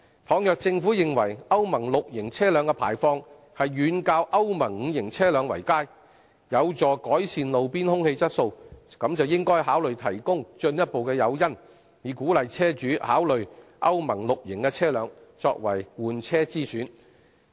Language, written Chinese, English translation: Cantonese, 倘若政府認為歐盟 VI 期車輛的排放遠較歐盟 V 期車輛為佳，有助改善路邊空氣質素，便應該考慮提供進一步的誘因，以鼓勵車主考慮以歐盟 VI 期車輛作為換車之選。, If the Government considers that Euro VI vehicles are far better than Euro V vehicles in terms of emission being conducive to improving roadside air quality it should consider providing further incentives to encourage vehicle owners to consider replacing their vehicles with Euro VI ones